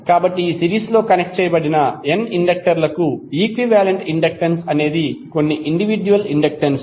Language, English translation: Telugu, So, equivalent inductance of n series connected inductors is some of the individual inductances